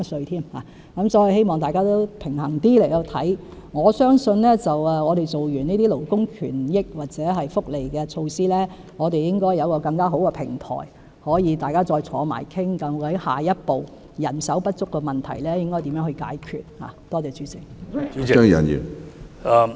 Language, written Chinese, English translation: Cantonese, 所以，希望大家持平一點，我相信完成了這些勞工權益或福利措施之後，我們應該有更好的平台，可以再次一起討論究竟下一步應該如何解決人手不足的問題。, Hence I hope Members can be fair . I believe that after completing the work on these initiatives of labour rights or welfare we should have a better platform for discussion once again on what should be done as the next step to resolve the problem of manpower shortage